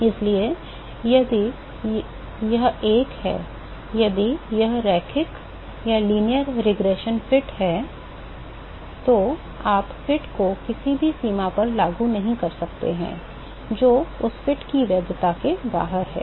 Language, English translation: Hindi, So, if it is a, if it is a linear regression fit, you cannot apply the fit to any range, which is outside the validity of that fit